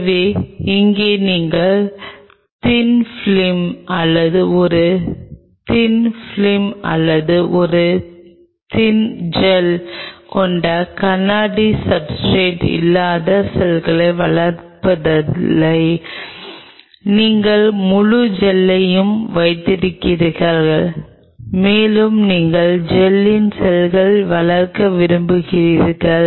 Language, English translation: Tamil, So, here you have no more growing the cells not on a glass substrate with thin film or a thin film or a thin gel you are having the whole gel and you want to grow the cells on the gel